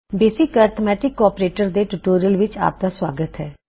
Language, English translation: Punjabi, Welcome to this tutorial on basic arithmetic operators